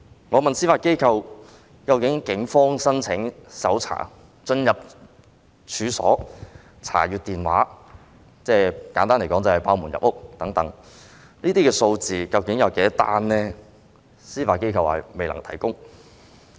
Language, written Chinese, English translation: Cantonese, 我問司法機構，究竟警方申請搜查令進入處所及查看手提電話——簡而言之，即是破門入屋——這些個案究竟有多少宗，司法機構表示未能提供。, I asked the Judiciary about the number of cases where search warrants applied by the Police for entering premises and inspecting mobile phones―in a few words that means breaking into the premises―were granted the Judiciary replied that it was unable to provide the information